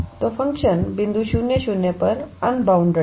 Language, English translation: Hindi, So, the function is unbounded at the point 0, 0